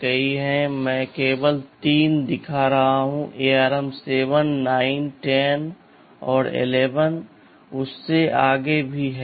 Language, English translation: Hindi, T there are many, I am only shown 3showing three, this ARM 7, 9, 10 there are 11 and beyond